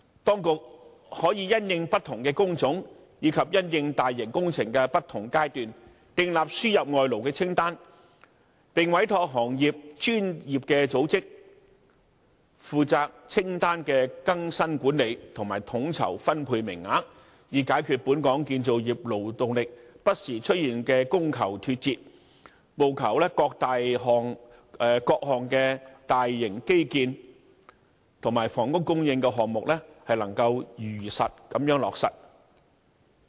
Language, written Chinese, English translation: Cantonese, 當局可以因應不同的工種及大型工程的不同階段，訂立輸入外勞的清單，並委託行業內的專業組織負責清單的更新管理，以及統籌分配名額，以解決本港建造業勞動力不時出現的供求脫節問題，務求各項大型基建和房屋供應的項目能夠如期落實。, The Administration can draw up a list on labour importation in light of different trades and different stages of large - scale projects . It may also commission a professional organization in the industry to take charge of updating and managing the list and coordinating the allocation of quotas in order to resolve the frequent gap between the demand for and supply of labour in the construction industry in Hong Kong so that various large - scale infrastructural and housing supply projects can be implemented on schedule